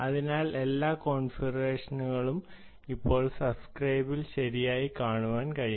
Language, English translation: Malayalam, alright, so all the configurations can be now shown on the subscriber